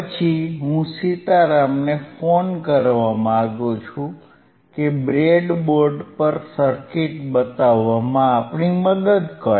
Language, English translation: Gujarati, So, I would will I will like to call Sitaram to help us show the circuit on the breadboard